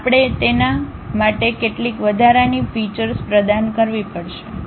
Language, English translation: Gujarati, We may have to provide certain additional features for that, ok